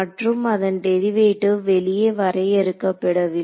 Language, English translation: Tamil, So, that derivatives also not define outside